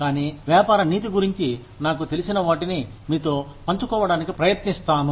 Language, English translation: Telugu, But, I will try to share with you, what I know about, business ethics